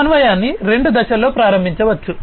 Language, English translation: Telugu, Coordination can be initiated in two steps